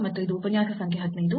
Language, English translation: Kannada, And this is lecture number 15